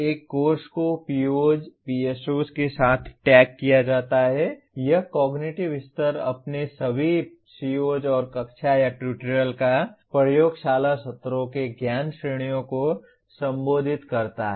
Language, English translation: Hindi, A course is also tagged with the POs, PSOs it addresses, cognitive levels, knowledge categories of all its COs and classroom or tutorial or laboratory sessions that are associated with that